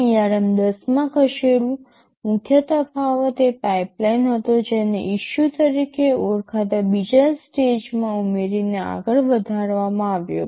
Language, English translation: Gujarati, Talking Moving to ARM 10, the main difference was the pipeline was further enhanced by adding another stage this called issue, this issue was added to this right